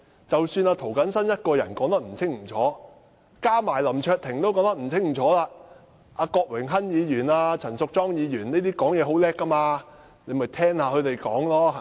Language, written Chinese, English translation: Cantonese, 即使涂謹申議員的發言不清楚，加上林卓廷也說不清楚，他可以聽郭榮鏗議員和陳淑莊議員等人發言，他們伶牙俐齒，對嗎？, Even if Mr James TO and LAM Cheuk - ting failed to convey their ideas clearly Mr WONG could listened to eloquent Members like Mr Dennis KWOK and Ms Tanya CHAN right?